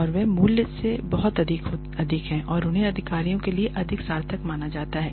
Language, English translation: Hindi, And they are much more in value and they are perceived to be much more meaningful for the executives